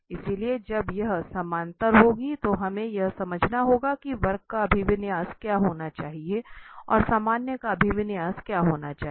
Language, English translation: Hindi, So, when this equality will happen that we have to understand that what should be the orientation of the curve and what should be the orientation of the normal